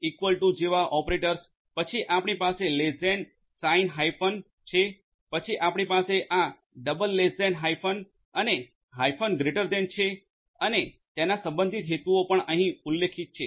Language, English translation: Gujarati, Operators like equal to, then you have this less than signed hyphen, then you have this double less than hyphen and hyphen greater than and their corresponding purposes are also mentioned over here